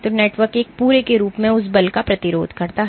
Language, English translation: Hindi, So, the network resists that force as a whole